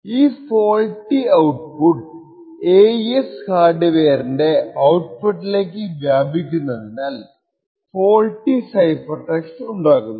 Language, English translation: Malayalam, Now this faulty output hen propagates to the output of this AES hardware resulting in a faulty cipher text